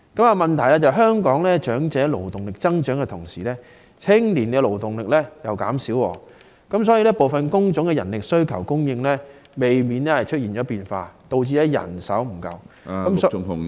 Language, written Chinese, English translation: Cantonese, 然而，問題是香港在長者勞動力增長的同時，青年勞動力卻減少，所以部分工種的人力需求及供應難免出現變化，導致人手不足......, However the problem of a growing elderly labour force and a dwindling young labour force has inevitably caused changes to the demand and supply of manpower in some jobs resulting in manpower shortage